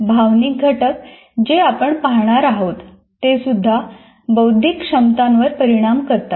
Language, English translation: Marathi, For example, there are emotional factors that we see will also influence our cognitive abilities